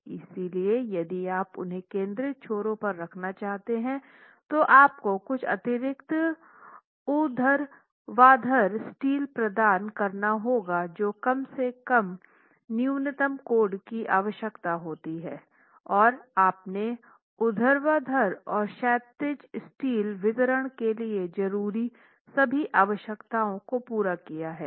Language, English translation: Hindi, So if you were to place them at the ends concentrated, you might have to provide some additional vertical steel, at least a minimum that the code requires, so that you have satisfied the requirements for vertical and horizontal steel distribution